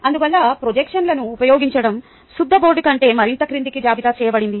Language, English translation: Telugu, therefore, using projections is listed further down than chalkboard